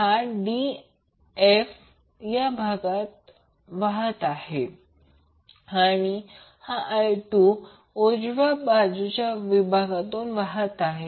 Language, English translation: Marathi, I1 is flowing in the d f segment and I2 is flowing in the right side of the segment